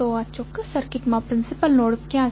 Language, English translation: Gujarati, So, what are the principal node in this particular circuit